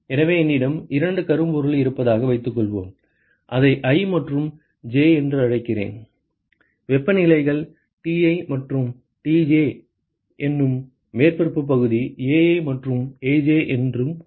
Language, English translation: Tamil, So, suppose I have two black bodies I call it i and j and let us say that the temperatures are Ti and Tj and the surface area are Ai and Aj ok